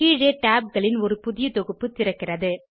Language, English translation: Tamil, A new set of tabs open below